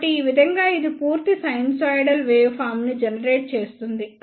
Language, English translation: Telugu, So, in this way it will generate the complete sinusoidal waveform